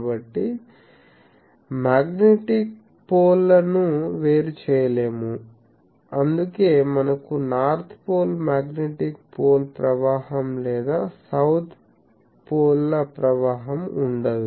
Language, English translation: Telugu, So, magnetic poles they cannot be separated, that is why we cannot have a flow of magnetic poles flow of north poles or flow of south poles etc